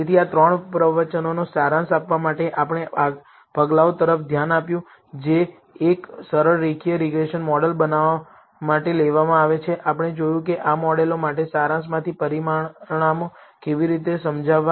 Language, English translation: Gujarati, So, to summarize in this three lectures, we looked at the steps, which are taken in building a simple linear regression model, we saw how to interpret the results from the summary, for these models